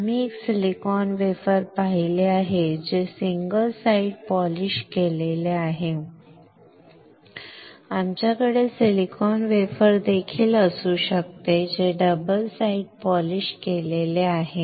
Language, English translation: Marathi, We have seen a silicon wafer which are single side polished, we can also have silicon wafer which a double side polished